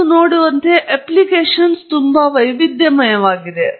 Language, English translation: Kannada, As you can see the application are quite diverse and varied